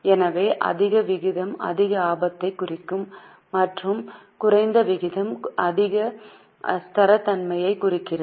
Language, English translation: Tamil, So higher ratio will mean more risk and a lower ratio indicates more stability